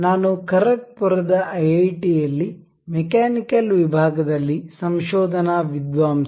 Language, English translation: Kannada, I am research scholar in the Mechanical Department in IIT, Khargpur